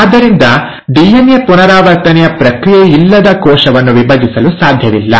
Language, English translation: Kannada, So it is not possible for a cell to divide without the process of DNA replication